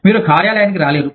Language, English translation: Telugu, You just cannot get to the office